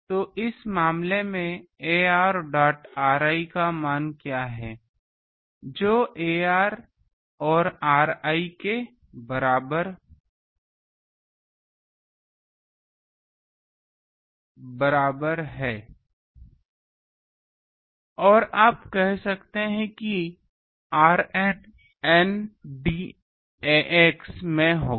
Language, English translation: Hindi, So, what is the value of ar dot r i in this case ar is equal to ax and r i or you can say r n will be in n d ax